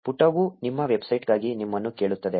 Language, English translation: Kannada, The page will ask you for your website